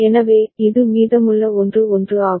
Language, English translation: Tamil, So, this is remaining 1 1